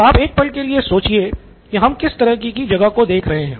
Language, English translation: Hindi, Take a moment to think about what kind of place are we looking at